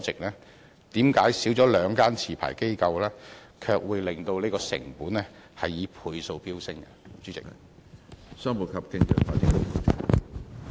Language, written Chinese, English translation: Cantonese, 為甚麼減少了兩間持牌機構，卻會令成本以倍數飆升？, Why is it that the costs multiply abruptly after the departure of two licensees?